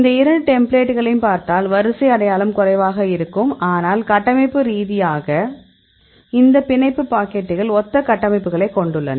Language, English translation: Tamil, If you see these two templates, the sequence identity is less but structurally these binding pockets are having similar structures